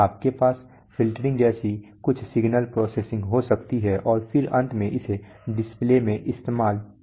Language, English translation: Hindi, You can have some signal processing like filtering and then finally it will be used in a display right